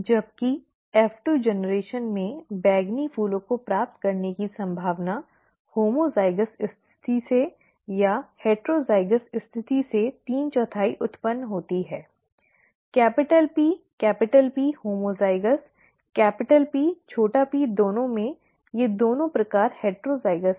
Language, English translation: Hindi, Whereas in the F2 generation, the probability of getting purple flowers is three fourth arising from either homozygous condition or heterozygous condition; capital P capital P homozygous, capital P small p in both the, both these kinds is heterozygous